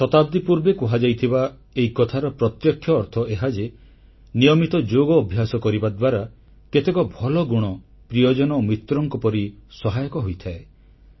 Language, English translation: Odia, Thisobservation expressed centuries ago, straightaway implies that practicing yogic exercises on a regular basis leads to imbibing benefic attributes which stand by our side like relatives and friends